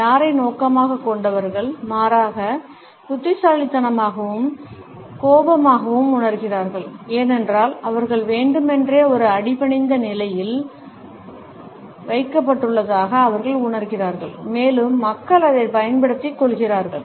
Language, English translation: Tamil, People towards whom it is aimed at, feel rather fidgety and annoyed, because they feel that they have been deliberately put in a subordinate position and people are taking advantage of it